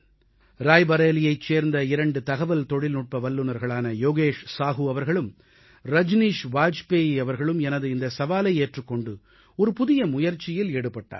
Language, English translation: Tamil, Two IT Professionals from Rae Bareilly Yogesh Sahu ji and Rajneesh Bajpayee ji accepted my challenge and made a unique attempt